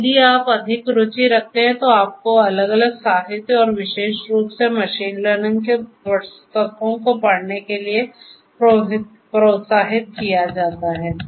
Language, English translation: Hindi, And, in case you are more interested you know you are encouraged to go through different literature and particularly the machine learning books